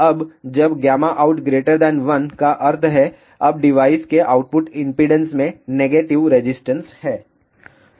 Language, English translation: Hindi, Now, when gamma out is greater than 1, that means, now output impedance of the device has negative resistance